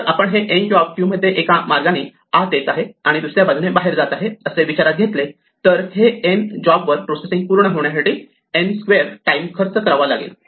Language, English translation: Marathi, If we think of n jobs entering and leaving the queue one way or another we end up spending n squared time processing these n jobs